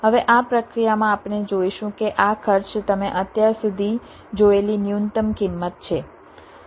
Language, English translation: Gujarati, now, in this process we will see that ah, this cost is the minimum one you have seen so far